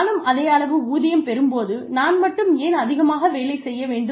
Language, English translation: Tamil, Why should I work, so much, when I will still get the same pay